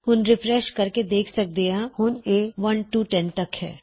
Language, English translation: Punjabi, If we refresh this, we can see theres 1 to 10 now